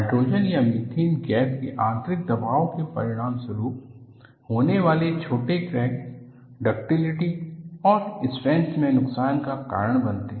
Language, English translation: Hindi, Tiny cracks that result from the internal pressure of hydrogen or methane gas causes loss in ductility and strength, and where do these form